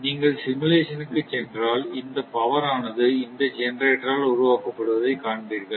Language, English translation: Tamil, If you go for simulation, you will see that your what you call this power had been generated by this generator